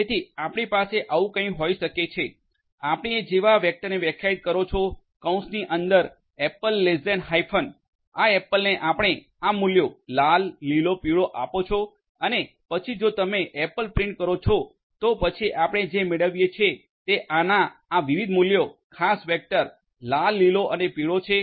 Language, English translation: Gujarati, So, you can have something like this you can define a vector like this apple less than hyphen c within parenthesis you can give these values red, green, yellow and then if you print apple, then what you get are these different values of this particular vector red, green and yellow